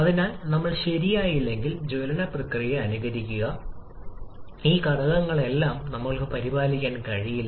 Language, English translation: Malayalam, So, unless we properly simulate the combustion process, we cannot take care of all these factors